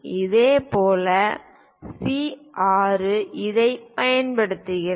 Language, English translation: Tamil, Similarly, C 6 use this